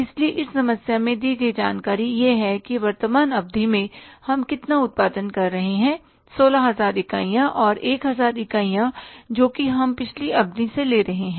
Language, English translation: Hindi, So, information given in this problem is that in the current period we are producing how many 16,000 units and 1,000 units we are transferring from the previous period